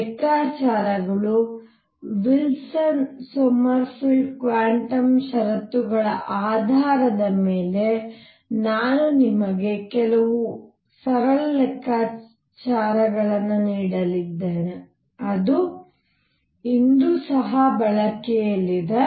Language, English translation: Kannada, Calculations, I am going to give you some simple calculations based on Wilson Sommerfeld quantum conditions which are in use today also